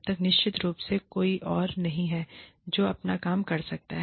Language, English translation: Hindi, Unless of course, there is nobody else, who can do their work